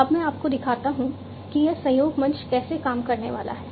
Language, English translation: Hindi, So, let me now show you how this collaboration platform is going to work